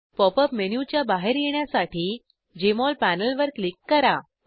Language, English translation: Marathi, Click on the Jmol panel to exit the Pop up menu